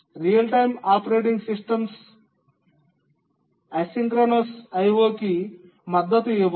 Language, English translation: Telugu, The real time operating systems also need to support a synchronous I